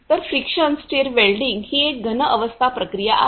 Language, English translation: Marathi, So, friction stir welding is a solid state joining process